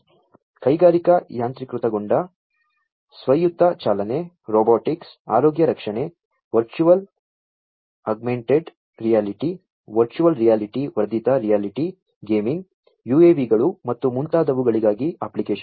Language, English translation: Kannada, Applications for use industrial automation, autonomous driving, robotics, healthcare, virtual augmented reality, virtual reality augmented reality gaming, UAVs and so on